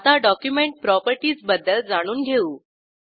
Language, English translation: Marathi, Now I will explain about Document Properties